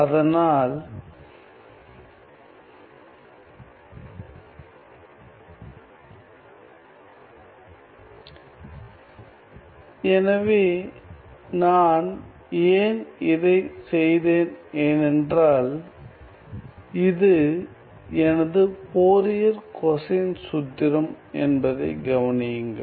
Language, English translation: Tamil, So, why I have done that is because notice that this is my Fourier cosine formula ok